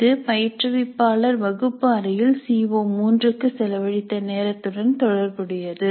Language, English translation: Tamil, This is relative to the amount of time the instructor has spent on CO3 in the classroom